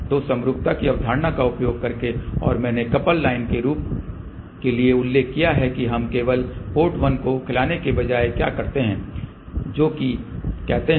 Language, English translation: Hindi, So, by using the concept of the symmetry and as I mentioned for the coupled line what do we do instead of feeding only port 1 which is value let us say 1, this is 0, 0, 0